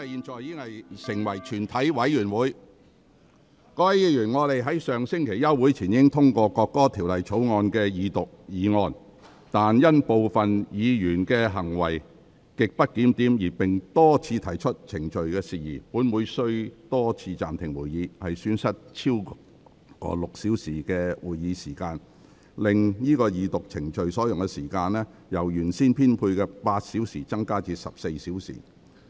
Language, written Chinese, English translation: Cantonese, 各位議員，本會在上星期休會前已通過《國歌條例草案》的二讀議案，但因部分議員行為極不檢點並多次提出程序事宜，本會須多次暫停會議，損失了超過6小時的會議時間，令整個二讀程序所用的時間，由原先編配的8小時增加至14小時。, Members this Council passed the Second Reading motion on the National Anthem Bill before adjournment last week . But due to the grossly disorderly conduct of some Members who had also repeatedly raised procedural matters this Council had to suspend the meeting repeatedly losing over six hours of meeting time thereby increasing the time spent on the entire Second Reading procedure from the originally allocated 8 hours to 14 hours